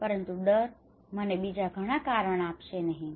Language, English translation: Gujarati, So fear would not give me much reason